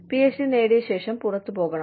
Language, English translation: Malayalam, You have to go out, after you earn your PhD